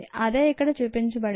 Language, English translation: Telugu, that is what happens here